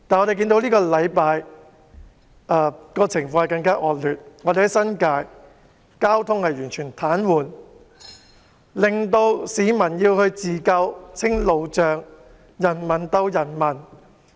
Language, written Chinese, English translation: Cantonese, 然而，本星期的情況更趨惡劣，新界交通完全癱瘓，市民要自救清除路障，人民鬥人民。, However this week the situation has worsened . Traffic in the New Territories was completely paralysed . Members of the public had to help themselves and cleared the road blocks on their own